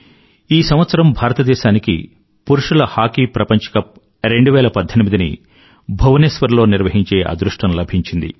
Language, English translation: Telugu, This year also, we have been fortunate to be the hosts of the Men's Hockey World Cup 2018 in Bhubaneshwar